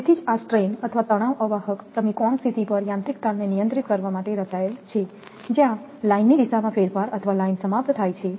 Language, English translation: Gujarati, So, that is why this strain or tension insulators your are designed for handling mechanical stresses at an angle position, where there is a change in the direction of line or a termination of the line